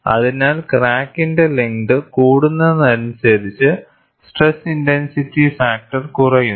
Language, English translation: Malayalam, So, as the crack length increases, the stress intensity factor decreases